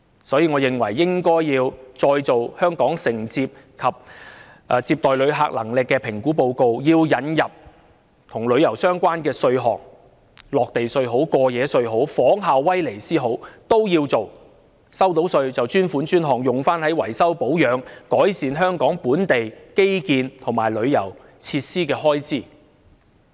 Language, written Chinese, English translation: Cantonese, 所以，我認為應該要再做《香港承受及接待旅客能力評估報告》，並要引入與旅遊相關的稅項，"落地稅"或"過夜稅"也好，又或者仿效威尼斯的做法，收到的稅款屬於專款專項，用於維修、保養、改善香港本地基建及旅遊設施的開支。, For this reason I think another Assessment Report on Hong Kongs Capacity to Receive Tourists should be prepared and tourism - related taxes say entry tax or overnight tax should be introduced . Or perhaps we should follow the example of Venice to treat the revenue from such taxes as a dedicated fund for the expenditure on maintenance repair and improvement of the local infrastructures and tourism facilities